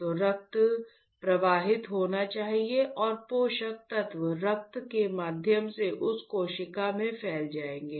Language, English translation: Hindi, So, the blood should flow and the nutrients will diffuse through the blood to that cell, isn’t it